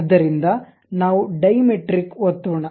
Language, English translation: Kannada, So, let us click Diametric